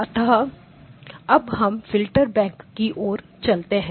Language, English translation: Hindi, Okay so now we move onto the filter bank okay